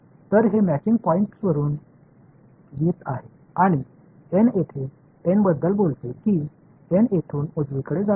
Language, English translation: Marathi, So, this is like coming from the matching point and n over here talks about this n over here is going from here all the way to the right right